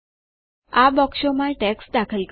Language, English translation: Gujarati, Enter text in these boxes